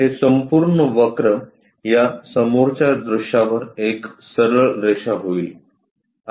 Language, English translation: Marathi, This entire curve will turns turns out to be a straight line on this front view